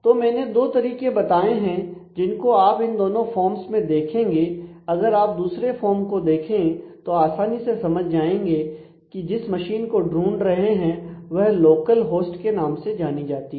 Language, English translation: Hindi, So, I have shown two ways to look at that and you will see that between the two forms; if you look at the second form you can easily understand that the machine to be identify this is called the local host